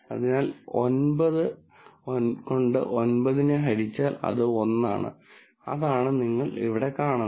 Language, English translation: Malayalam, So, 9 by 9, which is 1, which is what you see here